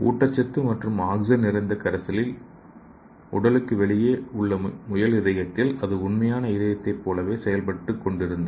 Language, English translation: Tamil, And in this rabbit heart outside the body in a nutrient and oxygen rich solution, it is working perfectly like a real heart